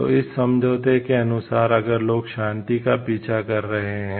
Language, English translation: Hindi, So, according to this agreement is if people are pursuing for peace